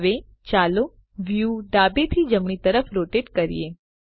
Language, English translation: Gujarati, Now let us rotate the view left to right